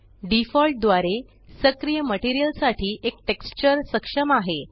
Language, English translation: Marathi, By default, one texture is enabled for the active material